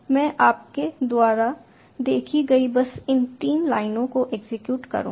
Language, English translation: Hindi, i will just execute these three lines